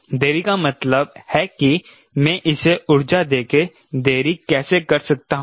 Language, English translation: Hindi, delay means how can i do a delay by pumping energy to it, right